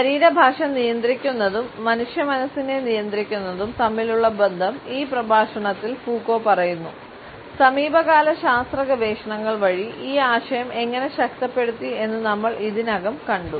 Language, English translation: Malayalam, The association in controlling the body language to control the human mind has been commented on by Foucault in this lecture and we have already seen how this idea has been reinforced by recent scientific researches